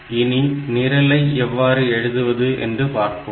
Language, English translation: Tamil, So, we will write that program; so, how to write it